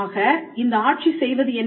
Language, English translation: Tamil, So, what does this regime do